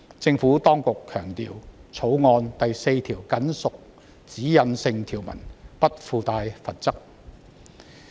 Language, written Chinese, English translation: Cantonese, 政府當局強調，《條例草案》第4條僅屬指引性條文，不附帶罰則。, The Administration has emphasized that clause 4 of the Bill is only a directional provision and carries no penalty